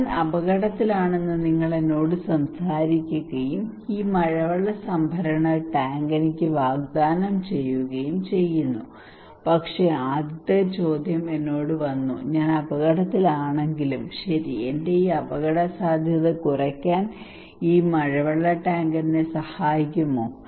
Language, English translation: Malayalam, You are talking to me that I am at risk and offering me this rainwater harvesting tank, but the first question came to me okay even if I am at risk, will this rainwater tank will help me to reduce my risk